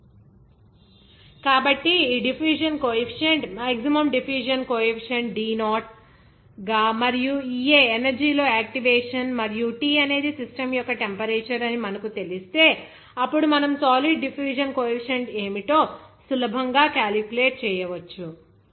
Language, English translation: Telugu, So, once you know this diffusion coefficient, maximum diffusion coefficient as D0 and also EA is the activation in energy and T is the temperature of the system, then you can easily calculate what the diffusion coefficient of the solid is